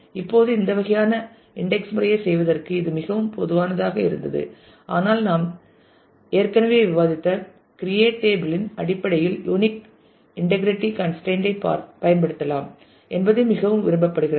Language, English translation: Tamil, Now, this used to be very common to do this kind of indexing earlier, but now it is more preferred that you can use unique integrity constraint in terms of the create table which we have already discussed